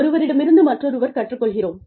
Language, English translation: Tamil, We learn, from each other